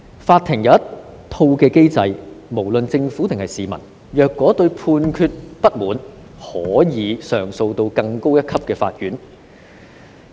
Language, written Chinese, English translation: Cantonese, 法庭有一套機制，不論政府或市民，只要對判決有不滿，均可向更高一級的法院提出上訴。, The courts have a mechanism in place whereby the Government or members of the public may lodge an appeal to a higher court when feeling dissatisfied with a judgment